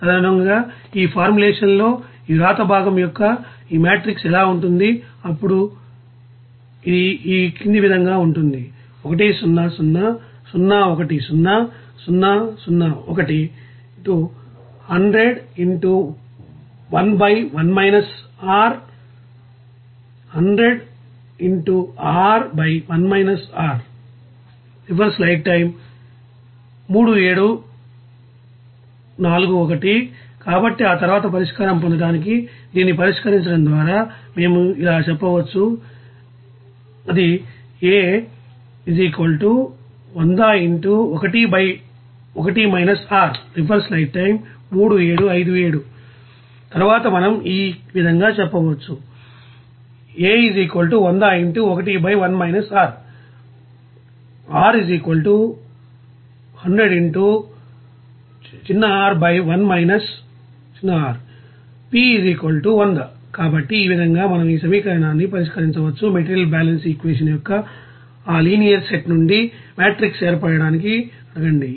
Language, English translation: Telugu, And accordingly, what will be this you know matrix of this write part of this you know formulation then it will be So after that to get the solution what you can say that resolving this we can simply say that here So here and then we can say that So, in this way we can solve this equation just ask for that formation of matrix from that linear set of material balance equation